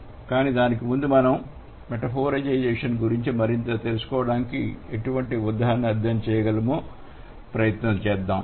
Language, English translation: Telugu, But before that let's try to understand what kind of examples we can study to know more about metaphorization